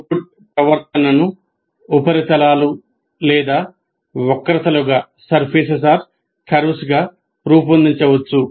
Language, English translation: Telugu, So the output behavior can be plotted as surfaces or curves and so on